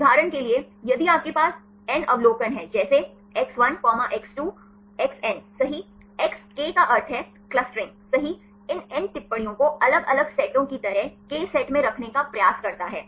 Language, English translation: Hindi, For example, if you have n observation like (x1, x2, …xn) right the k means clustering right tries to put these n observations into k sets like different sets